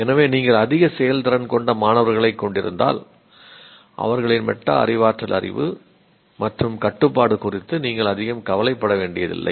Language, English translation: Tamil, So, if you have a top class students, highly performing students, you don't have to worry very much about their metacognitive knowledge and control